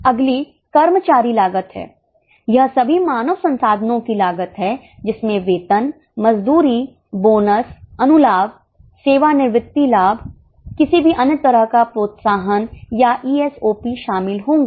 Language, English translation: Hindi, This is the cost on all human resources will include salary, wages, bonuses, perquisites, retirement benefits, any other incentives or ESOPs